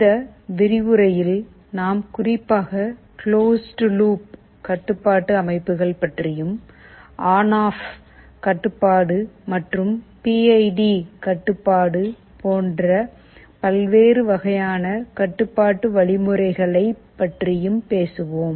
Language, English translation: Tamil, In this lecture, we shall be talking particularly about something called closed loop control systems, and the different kinds of controlling mechanism like ON OFF control and PID control